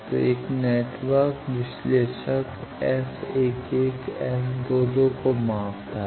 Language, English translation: Hindi, So, a network analyzer measures S 11 and S 21